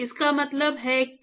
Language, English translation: Hindi, It means that